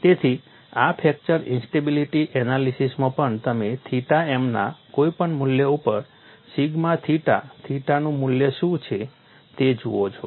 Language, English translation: Gujarati, So, in this fracture instability analysis also, you look at what is the value of sigma theta theta at any value of theta m